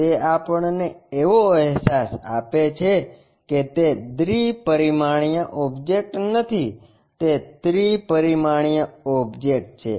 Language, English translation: Gujarati, That gives us a feeling that it is not two dimensional object, it is a three dimensional object